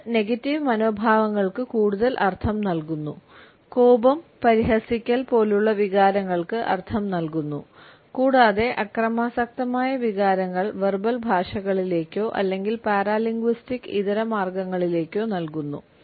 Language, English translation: Malayalam, It adds to the meaning of negative attitudes and feelings like anger ridicule etcetera as well as violent emotions to verbal languages or paralinguistic alternates